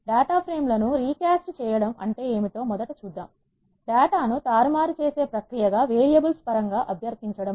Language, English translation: Telugu, Let us first see what is recasting of data frames means, requesting as a process of manipulating data free in terms of it is variables